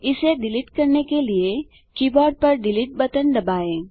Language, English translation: Hindi, To delete it, press the delete button on the keyboard